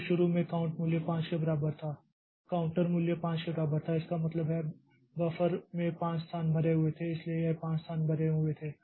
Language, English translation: Hindi, So, initially the count value was equal to 5, the counter value was equal to 5 and that means the buffer had 5 locations full